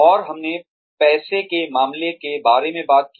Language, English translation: Hindi, And, we talked about money matters